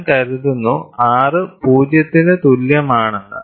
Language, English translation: Malayalam, And we work on R 0 or R greater than 0